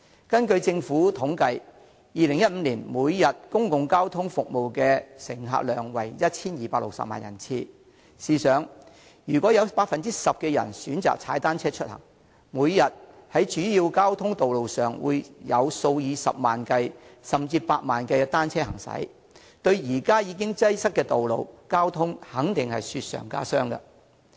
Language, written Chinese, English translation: Cantonese, 根據政府統計 ，2015 年公共交通服務的每天乘客量為 1,260 萬人次，試想想，如果有 10% 的人選擇踏單車出行，每天在主要交通道路上會有數以十萬計，甚至百萬計的單車行駛，對現時已經擠塞的道路交通肯定會雪上加霜。, According to the Governments statistics in 2015 the daily patronage of public transport service was 12.6 million passenger trips . Come to think about it . If 10 % of the people choose to commute by bicycles there will be hundreds of thousands or even millions of bicycles travelling on the major roads every day